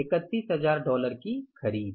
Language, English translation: Hindi, 31,000 worth of dollars purchases